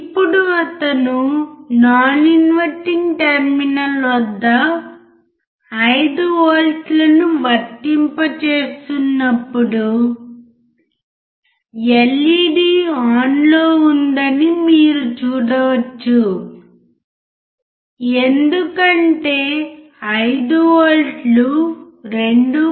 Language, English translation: Telugu, Now when he is applying 5 volts at non inverting terminal you could see that LED is on because 5 volts is greater than 2